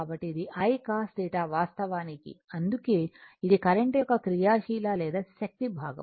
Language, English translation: Telugu, So, this I cos theta actually that is why we call active or power component of the current right